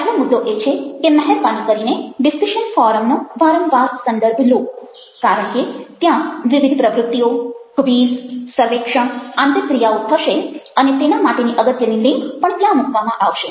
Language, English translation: Gujarati, the first point is that, ah, please refer to the discussion forum again and again, because that is where the various activities, the quizzes, the surveys, the interactions will be taking place and the vital links for those will be also provided there